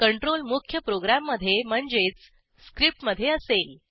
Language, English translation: Marathi, The control will be in main program, which is the script itself